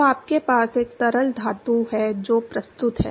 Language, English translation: Hindi, So, you have a liquid metal which is presents